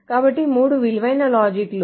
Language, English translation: Telugu, So the three valued logic